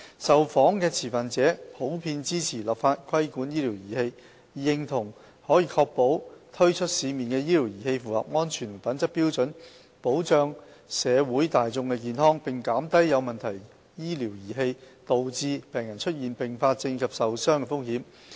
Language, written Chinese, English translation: Cantonese, 受訪的持份者均普遍支持立法規管醫療儀器，認同可確保推出市面的醫療儀器符合安全和品質標準，保障社會大眾健康，並減低有問題醫療儀器導致病人出現併發症及受傷的風險。, Stakeholders interviewed generally supported enacting legislation to regulate medical devices as the safety and quality of medical devices placed on the market could be ensured through regulation thereby protecting public health and reducing patients risk of complications and injuries caused by problematic medical devices